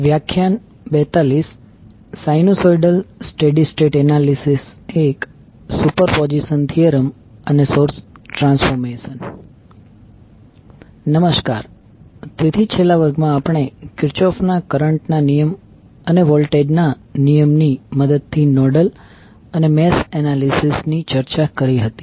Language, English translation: Gujarati, Namaskar, So in last class we were discussing about the nodal and mesh analysis with the help of Kirchoff current law and voltage law